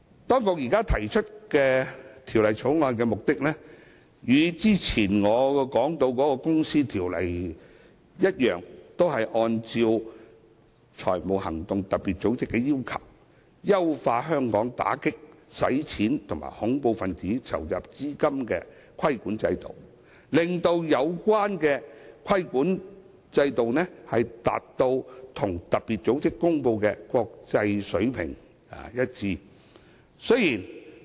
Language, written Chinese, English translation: Cantonese, 當局提出《條例草案》的目的，與之前我說的《公司條例》一樣，都是按照特別組織的要求，優化香港打擊洗錢和恐怖分子籌集資金的規管制度，令有關規管制度和特別組織公布的國際水平達成一致。, As in the case of the Companies Ordinance which I have previously mentioned the authorities have proposed the Bill in order to refine Hong Kongs AMLCTF regulatory regime based on FATF requirements . In this way Hong Kongs AMLCTF regulatory regime will be aligned with the international standards as promulgated by FATF